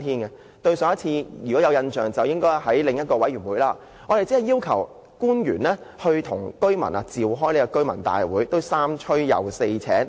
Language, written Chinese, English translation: Cantonese, 如果大家有印象的話，我們曾在另一個委員會要求官員與居民召開居民大會，但也要三催四請。, If Members still remember we once asked officials at another committee to hold a residents meeting with the residents . We had to make such requests repeatedly